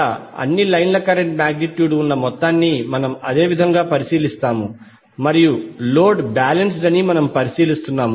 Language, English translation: Telugu, Here the amount that is magnitude of all line currents will be we are considering as same and because we are considering that the load is balanced